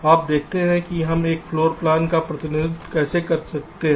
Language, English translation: Hindi, now let see how we can represent a floor plan